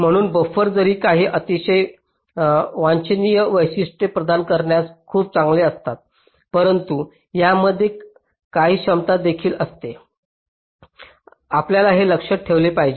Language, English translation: Marathi, ok, so buffers, although they are very good in providing some very desirable features, but there are some drawbacks as well